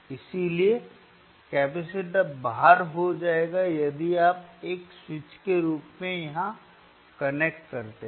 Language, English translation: Hindi, Hence the capacitor will be out if you corrnnect here right so that is as a switch